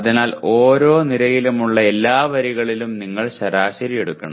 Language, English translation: Malayalam, So you have to take the average over across all the rows for each column